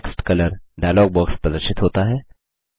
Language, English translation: Hindi, The Text Color dialog box appears